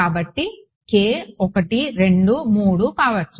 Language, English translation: Telugu, So, you will have T 1 T 2 T 3